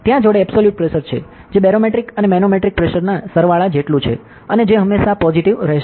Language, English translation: Gujarati, So, there is an absolute pressure, that is equivalent to sum of barometric and manometric pressure and which will always be positive ok